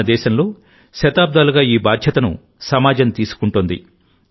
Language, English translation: Telugu, In our country, for centuries, this responsibility has been taken by the society together